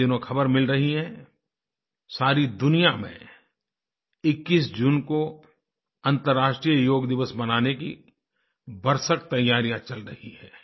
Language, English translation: Hindi, The news being received these days is that there are preparations afoot in the whole world to celebrate 21st June as International Yoga Day